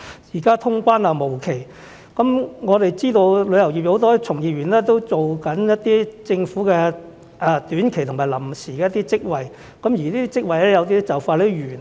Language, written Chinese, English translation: Cantonese, 現在通關無期，我們知道有很多旅遊業從業員都正在做一些政府短期及臨時職位，而有些職位很快便完結。, We know that many employees in the tourism industry are engaging in some short - term and temporary posts offered by the Government and some of them will have their term of employment end soon